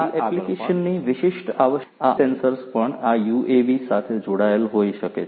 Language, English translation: Gujarati, And like this there are different other sensors depending on the application specific requirements, these other sensors could also be attached to this UAV